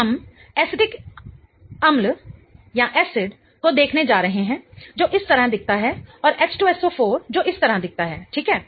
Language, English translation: Hindi, So, we are going to look at acetic acid which looks like this and H2 S O 4 which looks like this